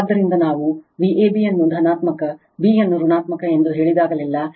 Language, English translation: Kannada, So, whenever we say V a b a positive, b negative